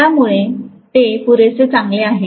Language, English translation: Marathi, So it is good enough, right